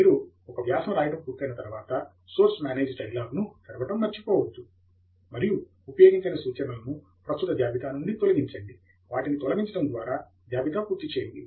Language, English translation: Telugu, Once you are done writing an article do not forget to open the Source Manage dialogue again and remove the unused references from the current list by deleting them